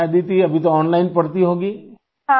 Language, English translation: Urdu, Ok Aditi, right now you must be studying online